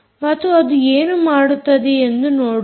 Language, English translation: Kannada, so let us see how this acts